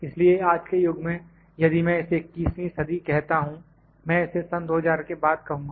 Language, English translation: Hindi, So, in today’s era if I call it in 21st century, I would call it in may be after 2000